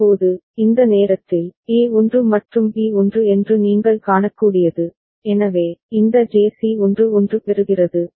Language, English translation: Tamil, Now, at this point of time, what you can see that A is 1 and B is 1, so, this JC is getting 1 1